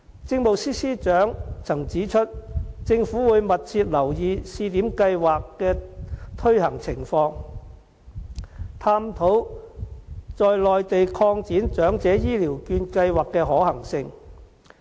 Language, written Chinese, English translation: Cantonese, 政務司司長曾指出，政府會密切留意試點計劃的推行情況，探討在內地擴展長者醫療券計劃的可行性。, The Chief Secretary for Administration has once pointed out that the Government would closely monitor the implementation of the Pilot Scheme and examine the feasibility of extending the Elderly Health Care Voucher Scheme to other parts on the Mainland